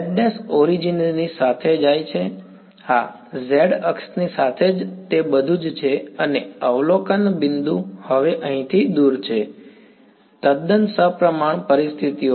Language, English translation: Gujarati, z prime goes along the origin yeah, along the z axis itself that is all and the observation point is now a distance a away here, totally symmetric situations